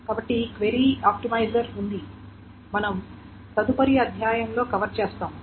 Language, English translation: Telugu, So there is a query optimizer that we will cover in the next chapter